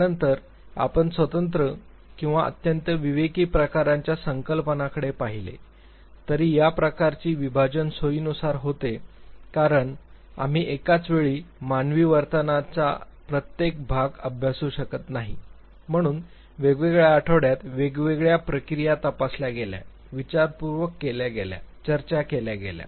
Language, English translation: Marathi, We then looked at separate or very discreet type of concepts although this type of segregation was based on convenience because we cannot study every aspect of the human behavior at the same time therefore, different different processes were examined, deliberated, discussed, in different weeks